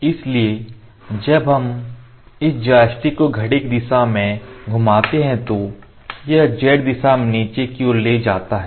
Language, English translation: Hindi, So, when we rotate this joystick clockwise, it moves z direction downwards